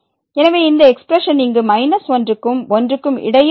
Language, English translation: Tamil, So, this expression here lies between minus and